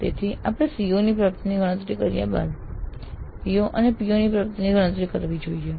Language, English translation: Gujarati, So, we must compute the attainment of POS and PSOs after computing the attainment of the COs